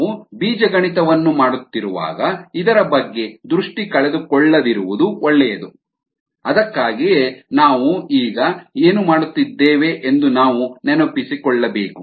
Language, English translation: Kannada, when we are doing the algebra, it's good not to loose site of this, ok, that's why we need to remind ourselves is to what we are doing, ah